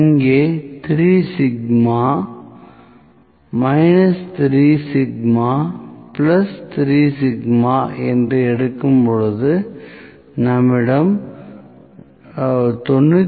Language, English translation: Tamil, When we have let me say 3 sigma, minus 3 sigma and plus 3 sigma we had 99